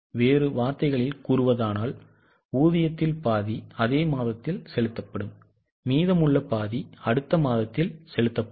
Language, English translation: Tamil, In other words, half of the wages will be paid in the same month, remaining half is paid in the next month